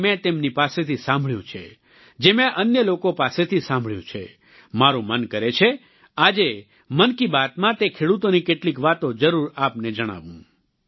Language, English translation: Gujarati, What I have heard from them and whatever I have heard from others, I feel that today in Mann Ki Baat, I must tell you some things about those farmers